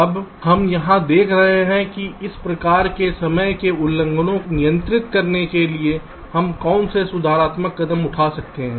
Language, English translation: Hindi, now here we shall be looking at what are the possible corrective steps we can take in order to control these kind of timing violations